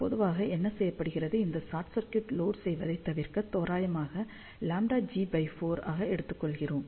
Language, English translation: Tamil, So, generally what is done, to avoid the loading of this short circuit over here, take this facing as approximately lambda g by 4